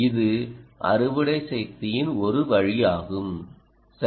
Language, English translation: Tamil, ah, this is one way of harvesting power, right